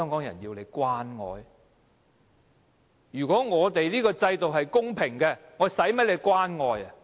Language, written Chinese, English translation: Cantonese, 如果我們的制度是公平的，我們何需官員關愛。, If the system is fair we would not be in need of the love and care of government officials